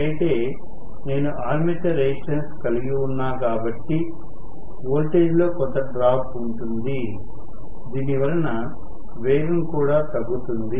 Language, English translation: Telugu, But because if I have an armature resistance there is going to be some drop in the voltage which will also cause a drop in the speed